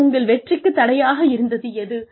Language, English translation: Tamil, And, what impeded your success